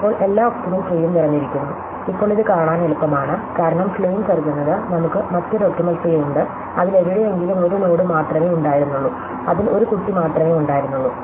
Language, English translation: Malayalam, So, every optimal tree is full, now is easy to see this, because the supposing the claim, we other optimal tree in which somewhere in between, we had a node which had only one child